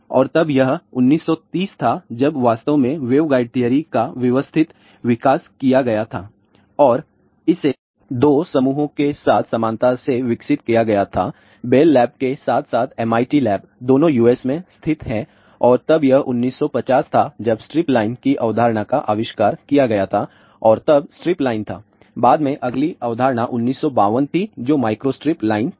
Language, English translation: Hindi, And then it was in nineteen thirties when systematic development of waveguide theory was actually developed and this was developed parallely by 2 groups Bell labs as well as MIT lab, both are situated in USA and then it was 1950 when the concept of stripline was invented and stripline then later on the next concept was 1952 which was microstrip line